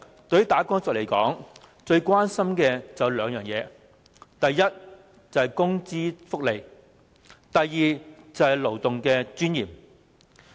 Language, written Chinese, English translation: Cantonese, 對於"打工仔"來說，他們最關心的有兩件事，第一，是工資和福利，第二，是勞動的尊嚴。, For wage earners there are two issues of profound concern to them . First it is about wages and benefits . Second it is about the dignity of labour